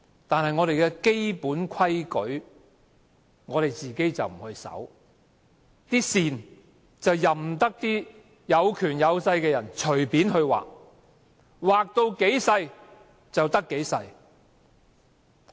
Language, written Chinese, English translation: Cantonese, 但是，我們的基本規矩，我們卻不遵守，任由有權有勢的人隨便劃線，把空間越劃越小。, However we fail to comply with the fundamental principles and allow the bigwigs to draw lines at will restricting our space